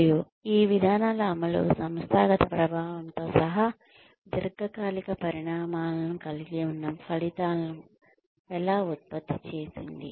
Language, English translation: Telugu, And, how the implementation of these policies produced outcomes, that have long term consequences, including organizational effectiveness